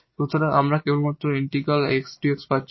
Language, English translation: Bengali, So, this is precisely the integral of this X over dx